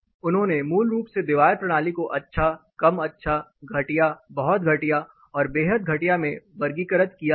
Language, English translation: Hindi, They are basically classified the wall system into good, fair, poor, very poor, and extremely poor